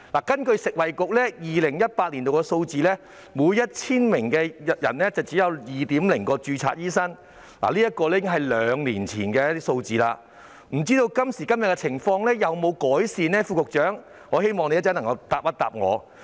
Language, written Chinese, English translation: Cantonese, 根據食物及衞生局2018年的數字，每 1,000 人只有2名註冊醫生，這已是兩年前的數字，不知道今時今日的情況有否改善，我希望副局長稍後能夠回答我。, According to the figures provided by the Food and Health Bureau there were only two registered doctors for every 1 000 people in 2018 . This is the figure two years ago I do not know if the situation has improved now and I hope the Under Secretary can answer me later . Looking back at the figure 10 years ago ie